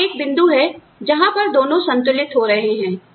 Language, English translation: Hindi, And, the is the point, at which, these two balance out